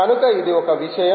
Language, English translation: Telugu, so that is one thing